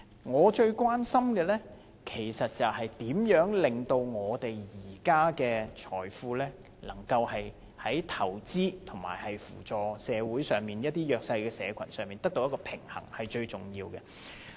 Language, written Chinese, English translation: Cantonese, 我最關心的是，如何在把我們現在的財富用於投資與用於扶助社會弱勢社群之間取得平衡，這是最重要的。, My greatest concern is how we can strike a balance between investing our present wealth and using our wealth to support the disadvantaged in society . It is the most important